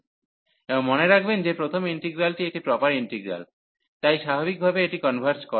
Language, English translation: Bengali, And note that the first integral is is a proper integral, so naturally it converges